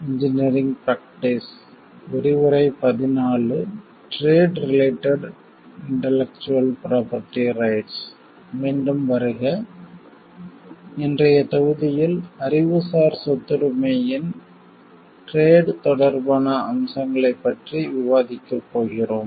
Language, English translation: Tamil, In today s module, we are going to discuss about the Trade related aspects of Intellectual Property Rights